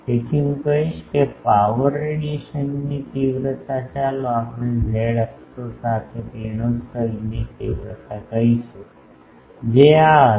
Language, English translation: Gujarati, So, I will say power radiation intensity let us say radiation intensity along z axis that will be this